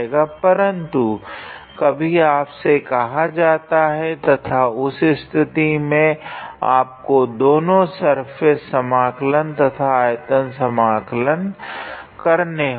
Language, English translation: Hindi, But sometimes you might and then in that case you have to evaluate the both surface integral and the volume integral